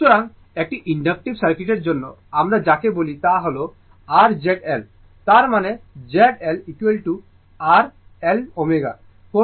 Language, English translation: Bengali, So, for inductive circuit, your what you call this is my your Z L; that means, Z L is equal to your L omega